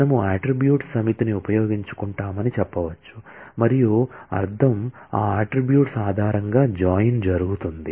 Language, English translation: Telugu, We can say using and put a set of attributes and the meaning is the join will be performed, based on those attributes